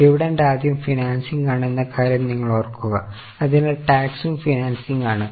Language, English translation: Malayalam, I hope you remember that dividend first of all is financing so tax thereon is also financing